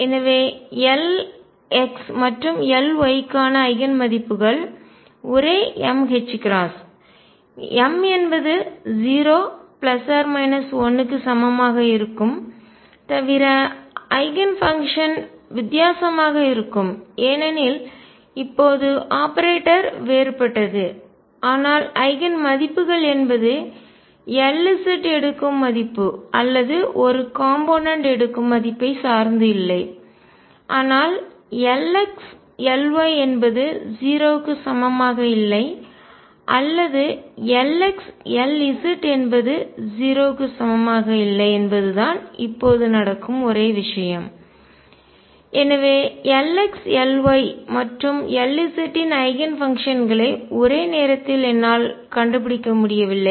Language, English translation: Tamil, So, Eigen values for L x and L y will also be same m h cross m equals 0 plus minus 1 and so on except that the Eigen functions would be different because now the operator is different, but the Eigen values cannot depend what value L z takes or a component takes is the same the only thing that happens is now because L x L y is not equal to 0 or L x L z is not equal to 0 therefore, I cannot find simultaneous Eigen functions of L x L y and L z